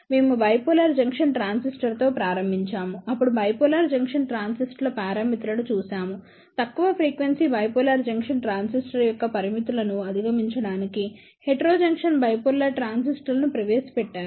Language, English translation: Telugu, We started with Bipolar Junction Transistor, then we saw the limitations of Bipolar Junction Transistors; to overcome them limitations of low frequency bipolar junction transistor, the Heterojunction Bipolar Transistors were introduced